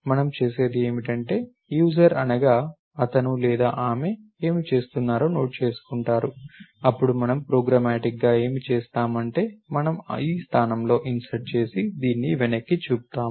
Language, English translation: Telugu, What we do is the user notes what he or she is doing, then what we will do programmatically is, we insert at this point and point this back